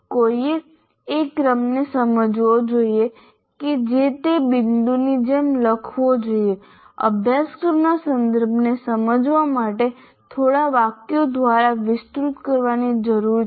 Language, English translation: Gujarati, So one has to understand the sequence that should be written like that point need to be elaborated through a few sentences to explain the course context